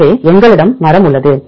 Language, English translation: Tamil, So, we have the tree